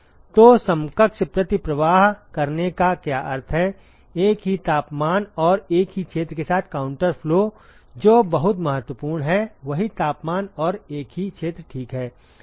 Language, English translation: Hindi, So, what it means by saying equivalent counter flow; counter flow with same temperatures and same area that is very important same temperatures and same area ok